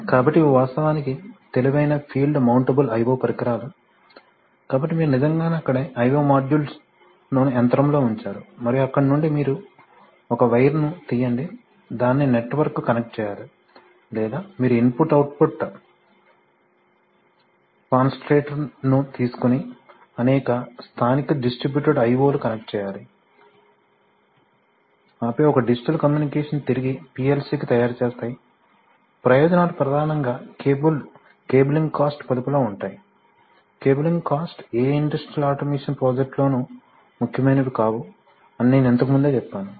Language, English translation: Telugu, So these are actually intelligent field mountable i/o devices, so you actually put the i/o module right there on the machine and from there you draw a wire or you connect it to a network or you take an input output concentrator and connect several local distributed I/O’s and then make one digital communication back to the PLC, the advantages are mainly in savings in cabling costs, I might have mentioned before that cabling costs are non, not insignificant part of any industrial automation project, so, and they actually cause inconveniences in industrial environment, they are difficult to maintain, sometimes may get cart etc